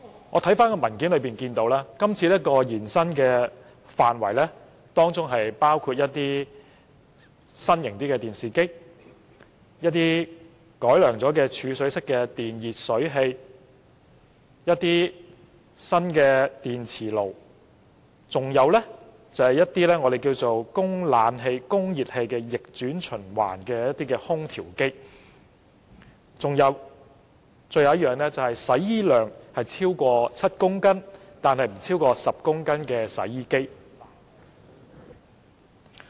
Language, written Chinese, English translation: Cantonese, 我翻看文件，得悉計劃的範圍將伸延至新型電視機、經改良的儲水式電熱水器、新式電磁爐、具備供暖及製冷功能的逆轉循環空調機及額定洗衣量超過7公斤但不超過10公斤的洗衣機。, Having checked the documents I know that the scope of MEELS will be extended to new models of televisions enhanced storage type electric water heaters new induction cookers room air conditioners of reverse cycle type with heating and cooling functions and washing machines with rated washing capacity exceeding 7 kg but not exceeding 10 kg